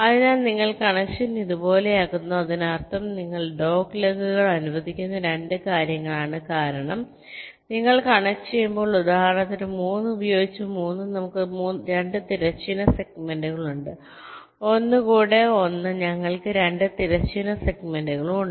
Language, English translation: Malayalam, so you make the connection something like this, which means two things: that you are allowing doglegs because that when you are connecting, say for example, three with three, we have two horizontal segments, one with one, we have also two horizontal segments